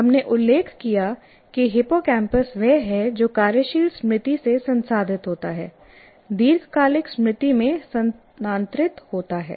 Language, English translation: Hindi, Anyway, that is incidentally, we mentioned that hippocampus is the one that processes from working memory, transfers it to the long term memory